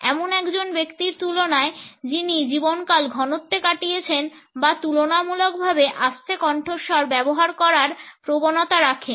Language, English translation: Bengali, In comparison to a person who has spent lifetime in a density or tend to use a relatively low volume